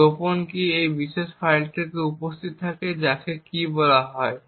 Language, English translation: Bengali, So the secret key is present in this particular file called key